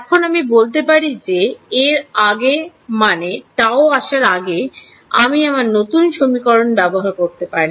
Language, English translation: Bengali, Now we can say that before this before the lapse of tau I should use my update equation